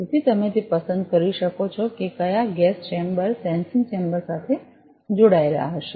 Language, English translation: Gujarati, So, you can select that which gas chamber will be connected to the sensing chamber